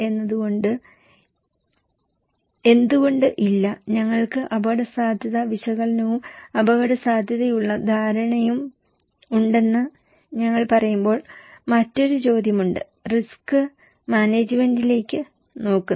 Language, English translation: Malayalam, Why no, when we are saying that okay we have risk analysis and risk perceptions, there is another question is looking into risk management